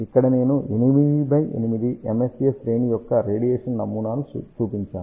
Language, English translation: Telugu, Here I have shown radiation pattern of 8 by 8 MSA array